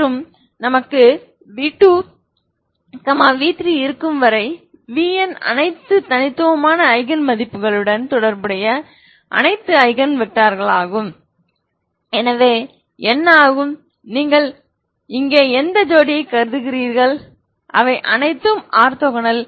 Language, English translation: Tamil, Vectors corresponding to lambda 1 and i will have v3 v4 up to vn these are all Eigen vectors corresponding to distinct Eigen values, so what happens if you consider any pair here they are all they both are orthogonal ok